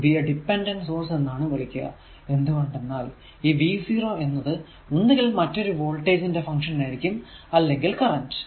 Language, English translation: Malayalam, So, this is actually called voltage controlled voltage source, because this v 0 is function of this voltage across some other element in the circuit say x